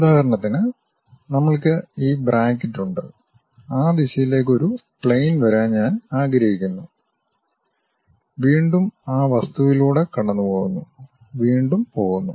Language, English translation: Malayalam, For example: we have this bracket, I would like to have a plane comes in that direction goes, again pass through that object goes comes, again goes